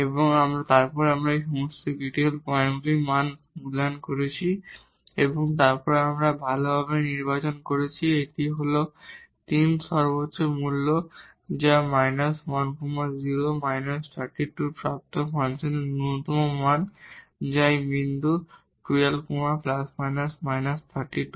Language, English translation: Bengali, And, then we have evaluated the function value at all these critical points and then we have selected well this is 3 is the maximum value which is attained at minus 1 0 minus 3 by 2 is the minimum value of the function which is attained at this point half plus minus 3 by 2